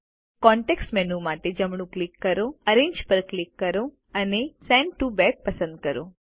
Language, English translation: Gujarati, Right click for the context menu, click Arrange and select Send to Back